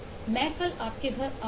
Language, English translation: Hindi, Ill go to your home tomorrow